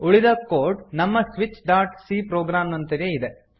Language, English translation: Kannada, Rest of the code is similar to our switch.c program Let us execute